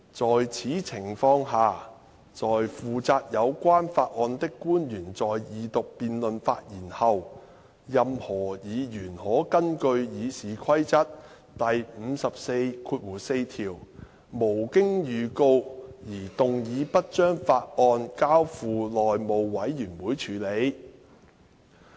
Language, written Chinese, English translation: Cantonese, 在此情況下，在負責有關法案的官員在二讀辯論發言後，任何議員可根據《議事規則》第544條，無經預告而動議不將法案交付內務委員會處理。, In this case after the public officer in charge of the bill has spoken at the second reading debate any Member may move without notice for the bill not to be referred to the House Committee under Rule 544 of the Rules of Procedure